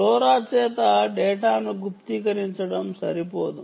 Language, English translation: Telugu, mere encryption of data by lora is insufficient